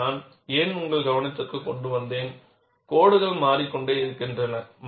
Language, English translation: Tamil, Why I brought this to your attention is, codes keep changing